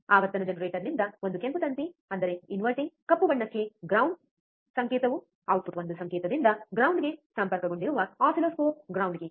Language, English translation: Kannada, One red wire from the frequency generator, that is the signal to the inverting black to the ground from the output one signal to the oscilloscope ground connected to the ground